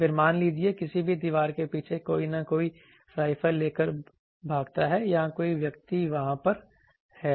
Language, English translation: Hindi, Then suppose whether behind any wall someone escape some rifles or whether some person is thereby so